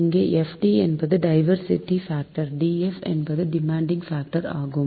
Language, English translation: Tamil, df is demand factor, but fd is the diversity factor